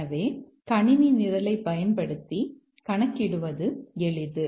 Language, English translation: Tamil, So that's easy to compute using a computer program